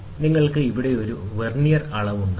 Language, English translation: Malayalam, So, you will have a Vernier reading also here